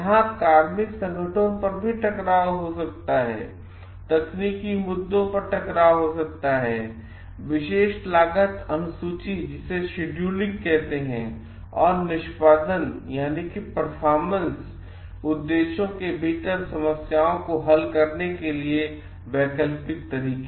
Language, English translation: Hindi, It will could be conflicts over personnel resources also, conflicts over technical issues like, alternative ways of solving problems within particular cost schedules and performance objectives